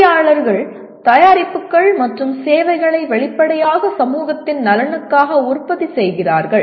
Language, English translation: Tamil, Engineers produce products and services apparently for the benefit of the society